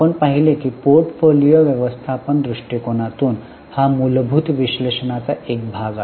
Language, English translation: Marathi, We saw that from a portfolio management angle, this is a part of fundamental analysis